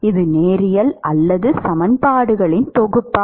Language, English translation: Tamil, Is this linear or the set of equations